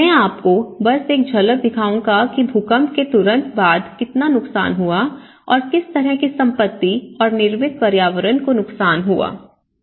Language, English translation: Hindi, I will just show you a glimpse of what all things have happened immediately after an earthquake and how what are the destructions and what kind of property has been damaged, what kind of built environment has been damaged